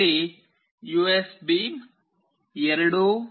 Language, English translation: Kannada, Here a USB 2